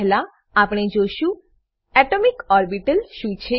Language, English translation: Gujarati, Let us first see what an atomic orbital is